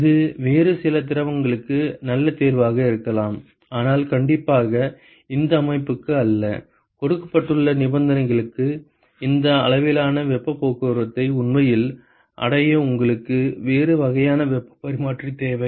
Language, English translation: Tamil, It is a good choice may be a good choice for some other fluid, but definitely not for this system; you really need a different type of heat exchanger to actually achieve this extent of heat transport for the conditions that is given